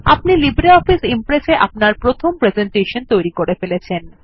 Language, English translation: Bengali, You have now created your first presentation in LibreOffice Impress